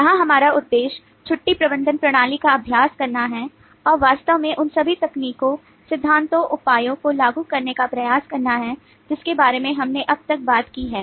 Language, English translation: Hindi, here our objective is to take the leave management system exercise and actually try to apply all the different techniques, principles, measures that we have talked about so far